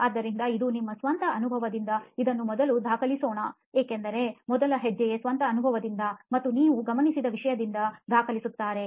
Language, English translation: Kannada, So this is from your own experience, good let us document that because this first step is about documenting it from your own experience and from what you observed, so that is there